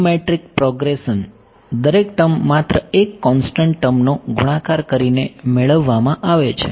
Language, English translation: Gujarati, Geometric progression, every term is obtained by multiplying just one constant term to it right